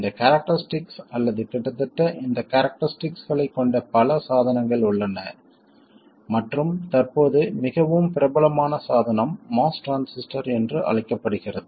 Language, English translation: Tamil, It turns out that there are many devices which have these characteristics or almost these characteristics and currently the most popular device is what is known as the Moss transistor